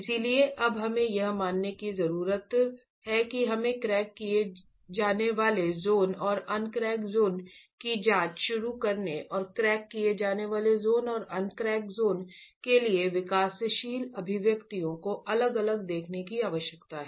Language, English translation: Hindi, So, now we need to assume, we need to start examining the crack zone and the uncracked zone and look at developing expressions differently for the crack zone and the uncrack zone